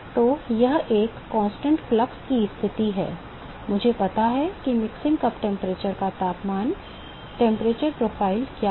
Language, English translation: Hindi, So, it is a constant flux condition, I know what is the temperature profile of the mixing cup temperature right